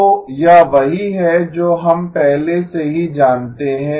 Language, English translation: Hindi, So this is what we know already